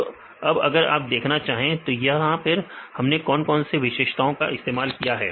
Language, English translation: Hindi, So, now, if you want to see here what are features we used here